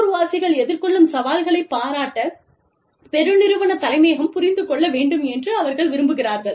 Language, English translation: Tamil, They need, people want, the corporate headquarters to understand, to appreciate the challenges, that locals face